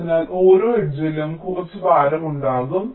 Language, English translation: Malayalam, ok, each edge will be having some weight